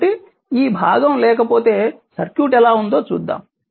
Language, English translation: Telugu, So, if this part is not there let us see the how the circuit is right